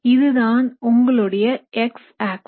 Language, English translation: Tamil, That is your X axis